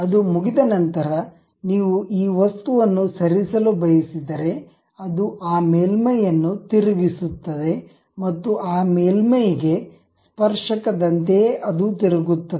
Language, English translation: Kannada, Once it is done, if you want to really move this object, it turns that surface and tangential to that surface only it rotates